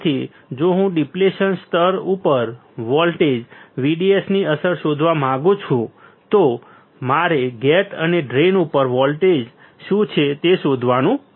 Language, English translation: Gujarati, So, if I want to find the effect of voltage VDS on depletion layer, I had to find what is the voltage across gate and drain all right